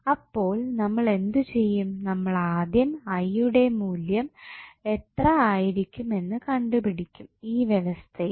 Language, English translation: Malayalam, So, what we will do will first find out what would be the value of I in this particular arrangement